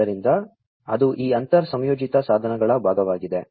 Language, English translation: Kannada, So, that is these inter linked devices part